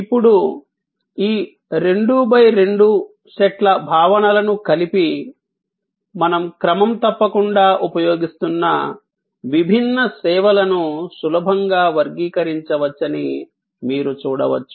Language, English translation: Telugu, Now, combining these 2 by 2 sets of concepts, you can see that we can easily classify different services that we are regularly using